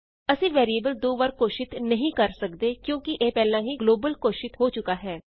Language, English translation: Punjabi, We cannot declare the variable twice as it is already declared globally We can only declare variable a as a local variable